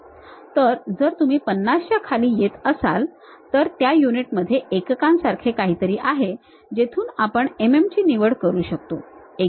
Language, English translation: Marathi, So, if you are coming down below that 50, there is something like units in that unit we can pick mm